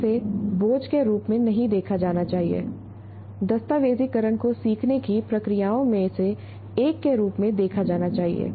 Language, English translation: Hindi, It's a, it should be seen, documenting should be seen as a, as one of the processes of learning